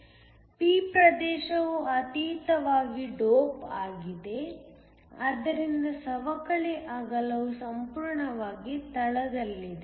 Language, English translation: Kannada, The p region is heavily doped, so the depletion width is almost entirely in the base